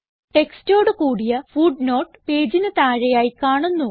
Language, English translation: Malayalam, We see that a footer is added at the bottom of the page